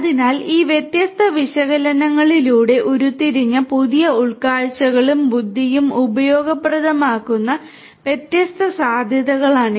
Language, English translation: Malayalam, So, these are the different possibilities where the new insights and intelligence that are derived through these different analytics could be made useful